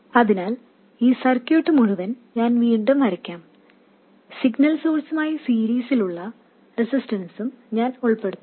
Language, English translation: Malayalam, So, I will redraw the whole circuit and this time I will also include the resistance in series with the signal source